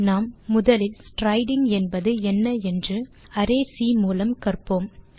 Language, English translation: Tamil, We shall first learn the idea of striding using the smaller array C